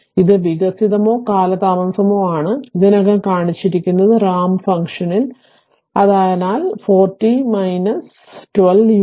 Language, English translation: Malayalam, That is your advanced or delayed we have already shown in the ramp function right, so, minus 4 r t minus 3 minus 12 u t minus 3